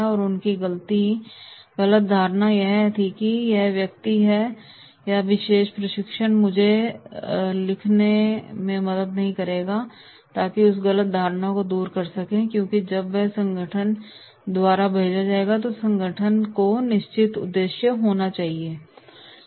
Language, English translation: Hindi, And their misconception was that know that this person or this particular training will not help me write so that misconception you can remove, because when he is here sent by the organisation, organisation must be having certain purpose so he has to learn